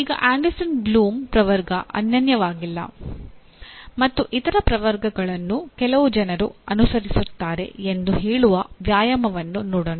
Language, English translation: Kannada, Now as an exercise to say that Anderson Bloom Taxonomy is not unique and other taxonomies are also followed by some people